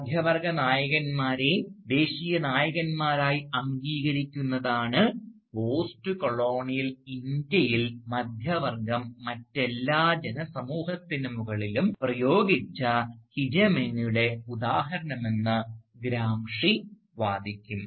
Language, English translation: Malayalam, And, Gramsci would argue that such ready acknowledgement of middle class heroes as national heroes, is an example of the hegemony that the middle class has exercised in postcolonial India over all other groups of people